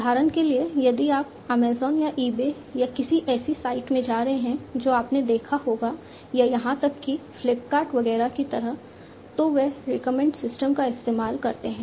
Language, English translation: Hindi, For example, if you are getting into Amazon or eBay or something you must have observed or even like Flipkart, etcetera they use recommender systems a lot